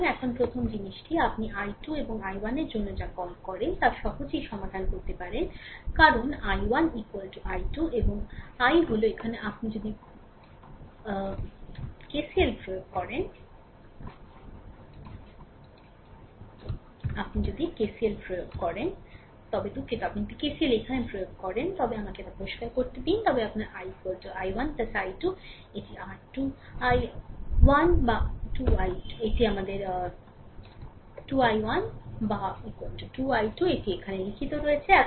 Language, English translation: Bengali, So, right this is the first thing now you can easily solve your what you call for i 2 and i 1, because i 1 is equal to i 2 and i is that means, here if you apply KCL here i sorry, let me clear it if you apply KCL here, your i is equal to i 1 plus i 2 right, that is is equal to either 2 i 1, or is equal to 2 i 2 this is what has been written here